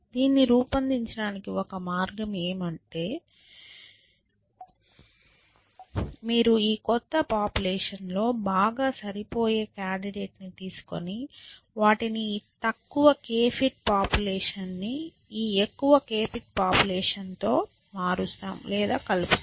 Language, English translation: Telugu, To, create it to this, one way to devise this, is that you take the most fit to most fit candidate in this new population and add them or substitute this least k fit population with this worst k fit population